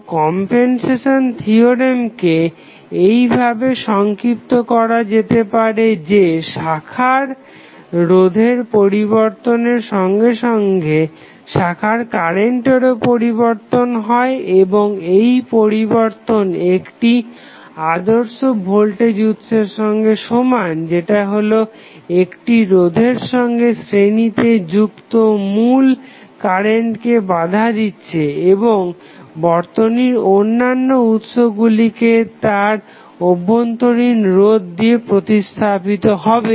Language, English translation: Bengali, So, what you can say the compensation theorem can basically summarized as follows that with the change of the branch resistance, branch current changes and the changes equivalent to an ideal compensating voltage source that is in series with the branch opposing the original current and all other sources in the network being replaced by their internal resistance